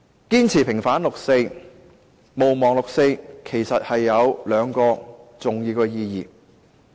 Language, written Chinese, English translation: Cantonese, 堅持平反六四，毋忘六四，有兩個重要意義。, Our insistence on vindicating and not forgetting the 4 June incident is significant on two counts